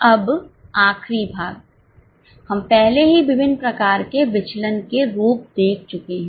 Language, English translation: Hindi, Now the last part, we have already seen different types of variances